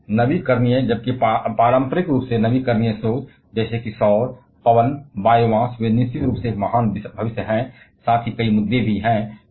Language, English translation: Hindi, Now, renewable while conventionally renewable sources like solar, wind, biomass they definitely have a great future, there are several issues as well